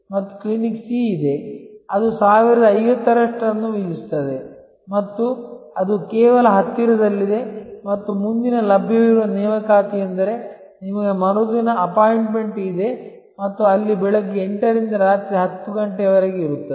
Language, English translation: Kannada, And there is a Clinic C, which charges the highest which is 1050 and it is just located quite close by and the next available appointment is, you have an appointment just the next day and there hours are 8 am to 10 pm